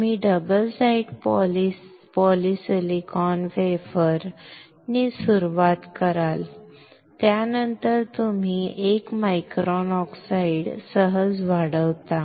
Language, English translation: Marathi, You start with double side poly silicon wafer, then you grow 1 micron oxide, easy